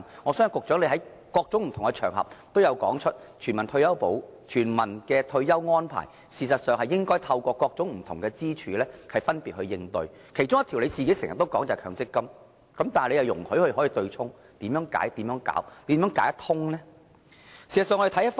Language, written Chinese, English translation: Cantonese, 我相信局長在不同場合都曾經說過，全民退保安排應該透過不同支柱來分別應對，其中一條支柱便是局長經常提到的強積金，但他卻容許對沖安排繼續下去，那麼問題應如何解決？, I believe the Secretary has said on different occasions that arrangements for universal retirement protection should be made respectively by different pillars one of which as mentioned by the Secretary from time to time is MPF . Yet he allows the offsetting arrangement to continue . As such how should the problem be resolved?